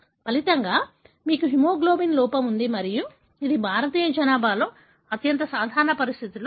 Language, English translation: Telugu, As a result, you have deficiency of hemoglobin and this is one of the very common conditions in the Indian population